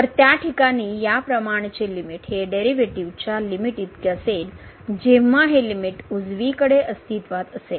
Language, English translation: Marathi, So, in that case the limit of this ratio will be equal to the limit of the derivatives provided this limit on the right hand this exist